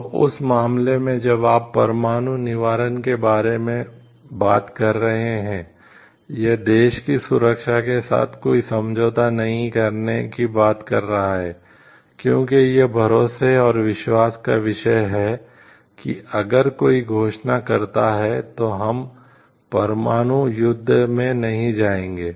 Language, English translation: Hindi, So, in that case when you are talking of nuclear deterrence so, it is talking of not to compromise with the security of the country, because it is a matter of trust and trustworthiness like, if somebody declares like we are not going to do a nuclear warfare